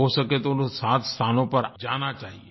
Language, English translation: Hindi, If possible, one must visit these seven places